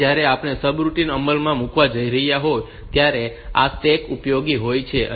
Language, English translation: Gujarati, Now, this is stacks are useful when we are going to implement the subroutine